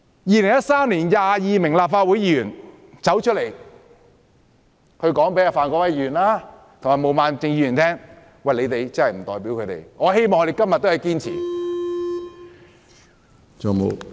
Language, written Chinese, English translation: Cantonese, 2013年有22名立法會議員站出來告訴范國威議員及毛孟靜議員，表明他們二人不代表他們，我希望他們今天仍然堅持這個立場。, In 2013 22 Legislative Council Members came to the forth and declared that Mr Gary FAN and Ms Claudia MO did not represent them . I hope they will still hold fast to this position today